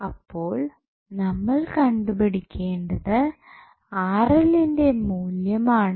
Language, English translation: Malayalam, So, next what we have to do we have to find out the value of Vth